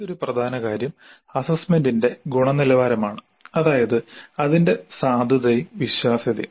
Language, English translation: Malayalam, And another important thing is the quality of the assessment which is characterized by validity and reliability